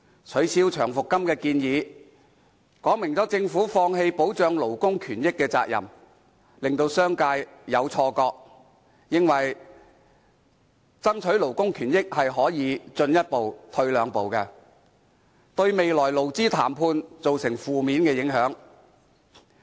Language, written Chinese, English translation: Cantonese, 取消長期服務金的建議，說明政府放棄保障勞工權益的責任，令商界有錯覺以為爭取勞工權益可以"進一步、退兩步"，對日後的勞資談判造成負面影響。, The proposed abolition of long service payment indicates that the Government intends to shirk its responsibility in protecting labour interests giving the business sector the wrong message that the fight for labour interests can take one step forward but two steps back . This would have an adverse effect on negotiations between employers and employees in the future